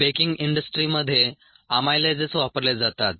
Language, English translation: Marathi, in the baking industry, amylases are used